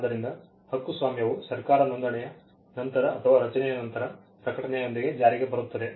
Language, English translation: Kannada, So, copyright comes into effect either upon registration by the government or upon creation, creation with the notice